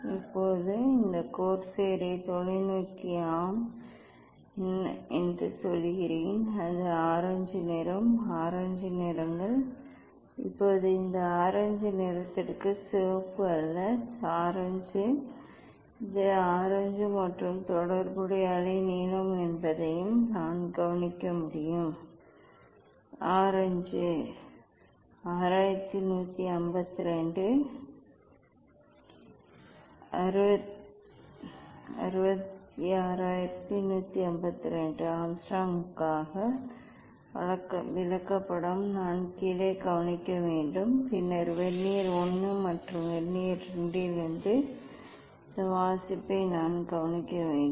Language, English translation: Tamil, now, I say that the telescope this corsair at a yes, it is the orange colour, it is orange colours Now, for this orange colour this is not red, it is the orange; it is the orange and it is corresponding wavelength also I can note down I have chart for orange 6 1 5 2, 6 6 1 5 2 angstrom I have to note down and then I have to note down this reading from Vernier I and Vernier II reading from Vernier I and Vernier II